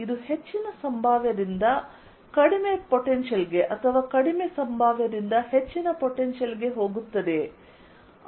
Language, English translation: Kannada, would it go from higher potential to lower potential or lower potential to higher potential